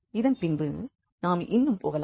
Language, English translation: Tamil, And then let us move further